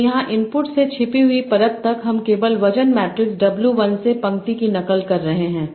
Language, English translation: Hindi, So here from input to hidden layer I am simply copying the row from the weight matrix W1